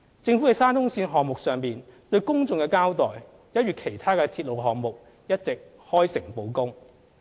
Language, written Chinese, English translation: Cantonese, 政府在沙中線項目上對公眾的交代，一如其他鐵路項目，一直開誠布公。, The Government has been honest in giving an account to the public on the SCL project like any other railway projects